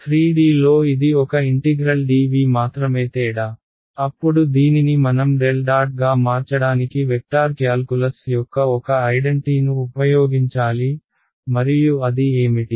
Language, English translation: Telugu, In 3D it would be a integral dv that is only difference, then we had use one identity of vector calculus to convert this into a del dot something; and what was that something